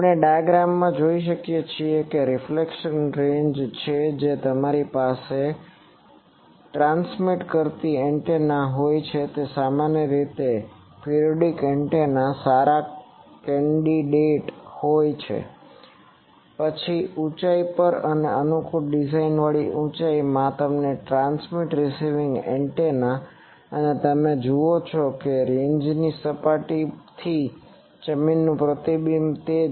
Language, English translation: Gujarati, We can see the diagram it is the reflection range you have a transmitting antenna usually lock periodic antennas are a good candidate, then at a height and in a suitably designed height you have the transmit receiving antenna and you see that the ground reflection from the range surface that is